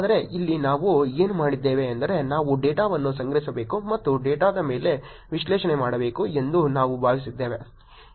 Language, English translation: Kannada, Whereas, here what we did was we thought we should collect the data and do analysis on the data itself